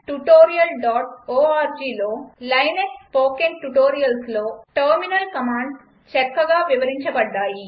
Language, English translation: Telugu, Terminal commands are explained well in the linux spoken tutorials in http://spoken tutorial.org